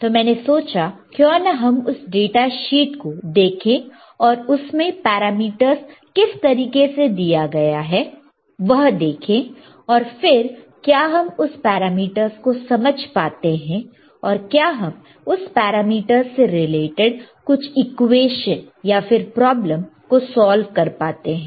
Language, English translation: Hindi, So, I thought of how we go through the data sheet and let us see, how are what are the parameters given and whether we understand those parameter, whether we can solve some equations solve some problems regarding to that particular parameters right